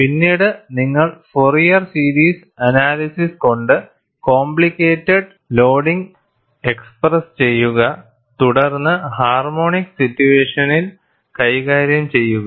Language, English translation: Malayalam, Later on, we will bring in Fourier series analysis and express the complicated loading as addition of harmonics and then handle the situation